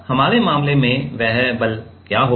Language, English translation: Hindi, Now, in our case, what will be the, what will be that force